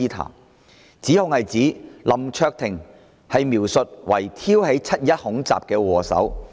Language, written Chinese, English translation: Cantonese, 當中的指控是將林卓廷議員描述為挑起"七二一"恐襲的禍首。, The allegations therein portray Mr LAM Cheuk - ting as the culprit of the 21 July terrorist attack